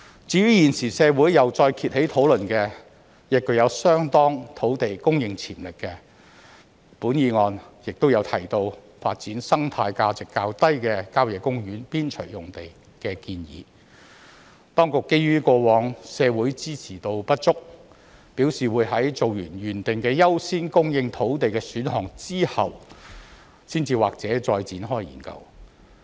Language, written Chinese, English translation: Cantonese, 至於現時社會再次掀起討論的、具有相當土地供應潛力的、本議案亦有提到的發展生態價值較低的郊野公園邊陲用地的建議，當局基於過往社會支持度不足，表示會在完成原訂的優先供應土地的選項後，才或許再展開研究。, The proposal of developing sites with relatively low ecological value on the periphery of country parks which is recently discussed in society again and is also mentioned in this motion has considerable potential for increasing land supply . Since the proposal lacked support in society in the past the authorities indicated that they would commence further studies on it only after completion of their work on the priority options to increase land supply as originally planned